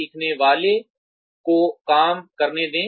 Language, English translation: Hindi, Let the learner do the job